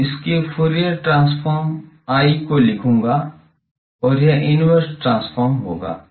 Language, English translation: Hindi, So, its Fourier transform I will write as and its inverse transform ok